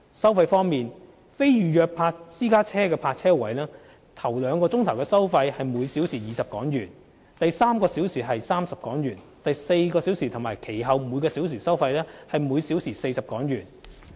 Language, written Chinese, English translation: Cantonese, 收費方面，非預約私家車泊車位首兩小時收費為每小時20港元。第三小時為30港元、第四小時及其後每小時收費則為每小時40港元。, The fees for non - reserved parking spaces for private cars will be HK20 per hour for the first two hours HK30 for the third hour and HK40 per hour starting from the fourth hour